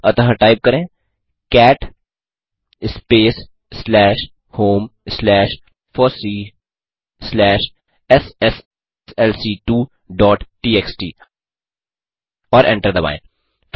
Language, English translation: Hindi, So type cat space slash home slash fossee slash sslc2 dot txt and Hit enter